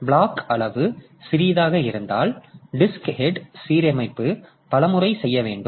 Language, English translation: Tamil, So, if I, if my block size is small, that means I have to do that disk head alignment several times